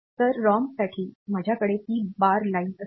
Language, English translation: Marathi, So, for the ROM; I will have that read bar line